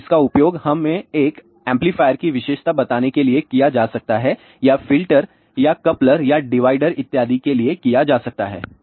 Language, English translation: Hindi, So, this can be used to let us say characterize a amplifier or let us say ah filter or coupler or divider and so on and so forth